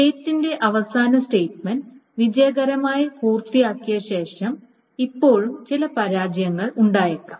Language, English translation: Malayalam, So, after the last statement of the transaction is successfully done, there may be still some failures